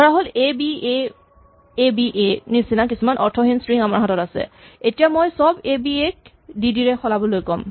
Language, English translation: Assamese, Supposing, I have some stupid string like "abaaba" and now I say replace all "aba" by say "DD"